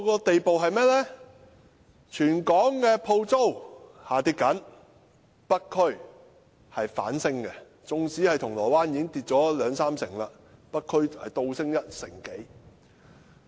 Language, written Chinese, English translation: Cantonese, 即使全港各區鋪租下跌，北區的鋪租反而上升，縱使銅鑼灣的鋪租已經下跌兩三成，北區的鋪租卻倒升一成多。, Even though shop rental in various districts of the territory has fallen shop rental in North District has risen . While shop rental in Causeway Bay has fallen by 20 % to 30 % shop rental in North District has risen by more than 10 %